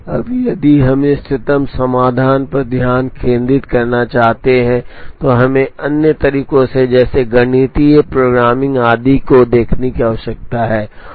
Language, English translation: Hindi, Now, if we want to focus on the optimum solution, then we need to look at other methods such as mathematical programming and so on